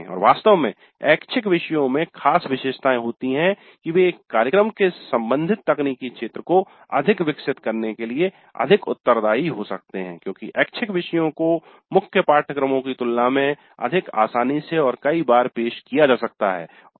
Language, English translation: Hindi, And in fact electives of special characteristics they permit a program to be more responsive to the developments in the technical domain concern because electives can be offered much more easily much more frequently in the curriculum compared to the core courses